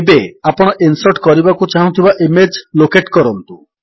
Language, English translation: Odia, Now locate the image you want to insert